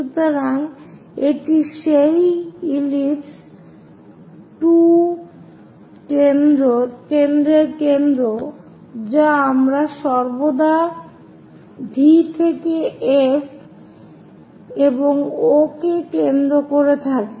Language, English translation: Bengali, So, this is the centre of that ellipse 2 foci we always be going to have from V to F and O is centre